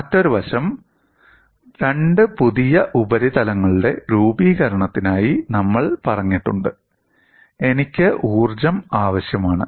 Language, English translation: Malayalam, Another aspect is, we have sent for the formation of two new surfaces; I need energy to be available